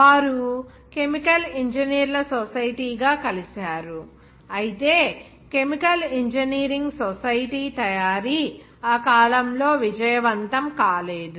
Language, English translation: Telugu, They are making together as a Society of chemical engineers, but anyway, these makings of chemical engineering society were not successful at that period